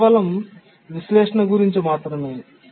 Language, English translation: Telugu, It is only for analysis